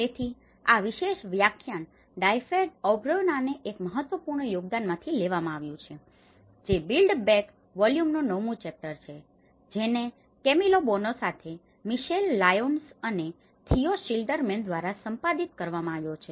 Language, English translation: Gujarati, So, this particular lecture has been derived from one of the important contribution from Dyfed Aubrey, which is the chapter 9 in build back better volume, which has been edited by Michal Lyons and Theo Schilderman with Camillo Boano